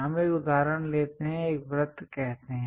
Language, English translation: Hindi, For example, this is another circle